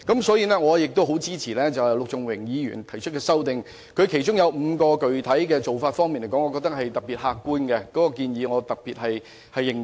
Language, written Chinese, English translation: Cantonese, 此外，我亦很支持陸頌雄議員提出的修正案，而我認為其中5種具體做法尤為客觀，故我對相關建議尤其認同。, Moreover I also strongly support the amendment proposed by Mr LUK Chung - hung . And as I consider five of its concrete measures are particularly objective I am particularly supportive of such proposals